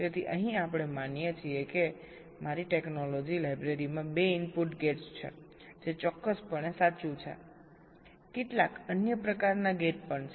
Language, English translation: Gujarati, ok, fine, so here, assuming that my technology library consists of two input gates, which is quite true, of course few other type of gates are also there